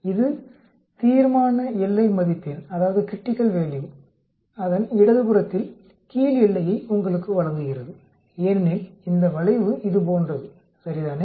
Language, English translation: Tamil, This gives you the lower boundary on the left hand side of the critical value because this curve is like this, right